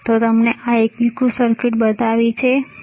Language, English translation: Gujarati, I have shown you this integrated circuit, isn't it